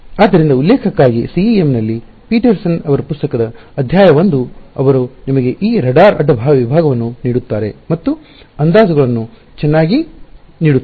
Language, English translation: Kannada, So, for reference I think chapter 1 of Petersons book on CEM, he gives you this radar cross section and the approximations required quite nicely